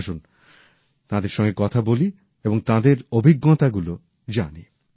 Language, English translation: Bengali, Come, let's talk to them and learn about their experience